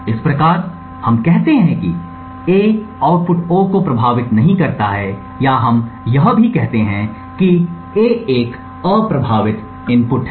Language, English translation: Hindi, Thus, in this case we say that A does not affect the output O or we also say that A is an unaffecting input